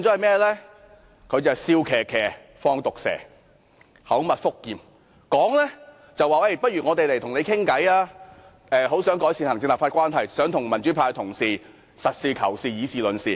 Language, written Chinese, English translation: Cantonese, 她是"笑騎騎，放毒蛇"，口蜜腹劍，口說不如大家坐下來談，她很想改善行政立法關係，想與民主派同事實事求是、以事論事。, She puts on a smile while she does something evil . She asked us to sit down and talk saying that she wanted to improve the executive - legislature relationship and hold discussions with democratic Members in a practical and reason manner